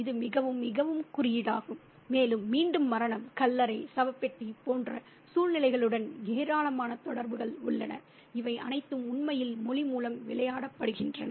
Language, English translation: Tamil, And again, we have huge number of associations with death sepulchre, coffin like situations, and all these are really played out through language